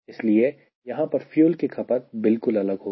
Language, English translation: Hindi, so fuel consumption here will be all together different